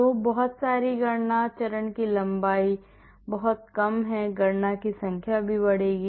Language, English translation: Hindi, So, the step length is very small the number of calculations will also increase